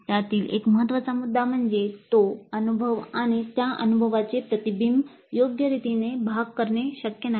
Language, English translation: Marathi, One of the major points is that experience and reflection on that experience cannot be neatly compartmentalized